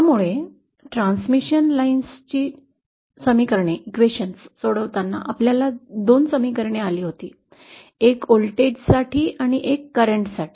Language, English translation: Marathi, So, while solving the transmission lines equation, we have come across 2 questions, one for the voltage and one for the current